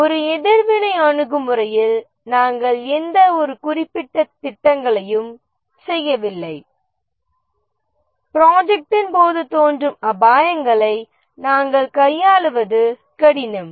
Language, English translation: Tamil, In a reactive approach, we don't make any specific plans, possibly the risks are hard to anticipate